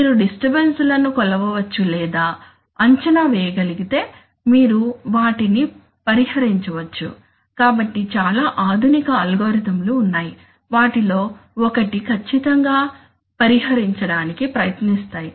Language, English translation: Telugu, If you can, if you can measure or estimate the disturbances then you can compensate them, so one of the, I mean, there are many advanced algorithm which, which precisely try to do that